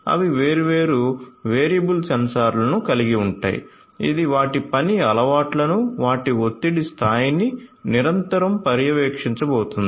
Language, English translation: Telugu, They also will have different variable sensors which continuously are going to monitor there you know their work habits, you know their stress level and so on and so forth